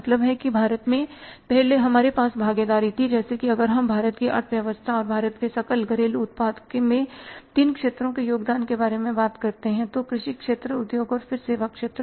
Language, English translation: Hindi, Means now in India earlier we had the shares like if you talk about the India's economy and the contribution of the three sectors in the GDP of India, agriculture sector, industries and then the services sector